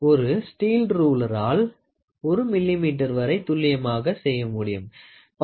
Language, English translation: Tamil, A steel ruler can measure accurate up to 1 millimeter, at the best it can go up to 0